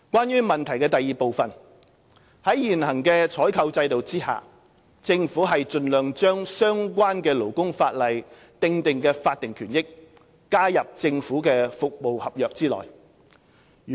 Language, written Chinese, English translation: Cantonese, 二在現行採購制度下，政府盡量將相關勞工法例訂定的法定權益，加入政府服務合約內。, 2 Under the existing procurement system the Government would as far as possible incorporate the statutory entitlements stipulated in the relevant labour legislation into government service contracts